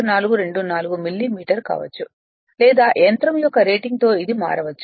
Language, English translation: Telugu, 424 millimetre right or may vary also after the rating of the machine